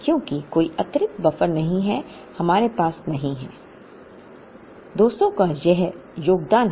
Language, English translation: Hindi, Because there is no additional buffer, we do not have this contribution of 200